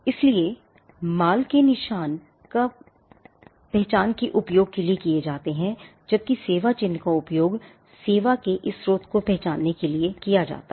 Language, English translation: Hindi, So, goods marks are used for recognizing goods whereas, service marks are used to recognize this source of the service